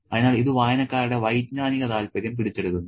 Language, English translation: Malayalam, So, this captures the cognitive interest of readers